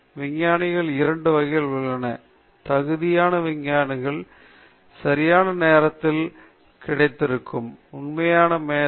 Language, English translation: Tamil, There are two types of scientists: competent scientists those who were in the right place at the right time, and true genius